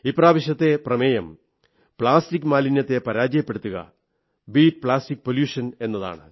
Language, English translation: Malayalam, This time the theme is 'Beat Plastic Pollution'